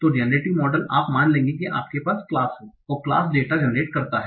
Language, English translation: Hindi, So in generating a model, you will assume that the class is there and the class generates the data